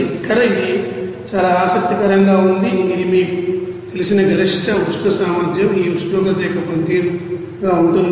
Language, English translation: Telugu, Here, it is very interesting that this you know specific heat capacity will be a function of this temperature